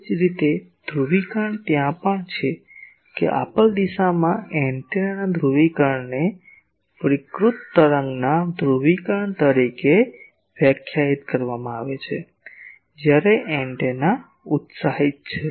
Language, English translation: Gujarati, Similarly polarisation is also there that polarisation of an antenna in a given direction is defined as the polarisation of the radiated wave; when the antenna is excited